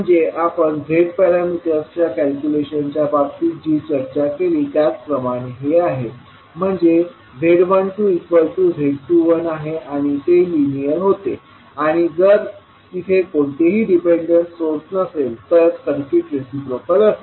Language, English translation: Marathi, So this is similar to what we discussed in case of Z parameters calculation where Z 12 is equal to Z 21 and it was linear and if it was not having any dependent source, the circuit was reciprocal